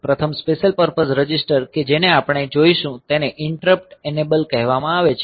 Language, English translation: Gujarati, The first special purpose register that we will look into is called Interrupt enable